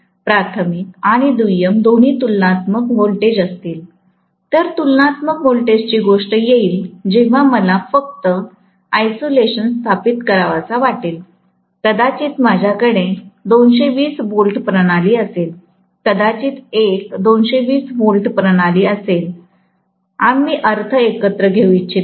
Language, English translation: Marathi, If both primary and secondary are of comparable voltage, the comparable voltage thing will come up when I want only isolation to be established, maybe I have a 220 volts system, another 220 volts system, I don’t want the earths to be coming together